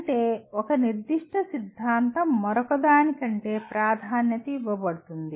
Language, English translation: Telugu, That means one particular theory is preferred over the other